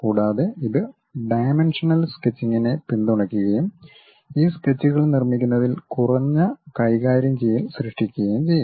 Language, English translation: Malayalam, And also, it supports dimensional sketching and creates less handling in terms of constructing these sketches